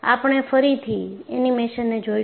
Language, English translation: Gujarati, We will again look at the animation